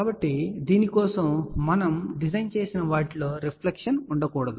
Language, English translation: Telugu, So, what we have designed for that there should be no reflection